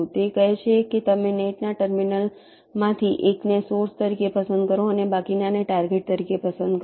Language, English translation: Gujarati, it says you select one of the terminals of the net as a source and the remaining as targets